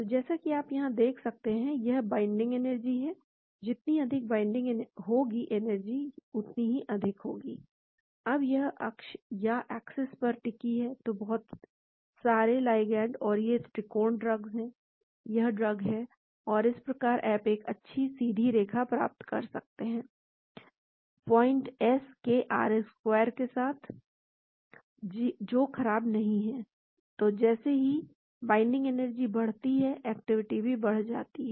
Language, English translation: Hindi, So, as you can see here, this is the binding energy, more the binding higher is the activity, this is the activity on this axis, so a lot of ligands and these triangles are the drugs, drug here, and so you get a nice reasonably good straight line with R square of 0